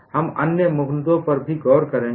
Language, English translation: Hindi, We will also look at other issues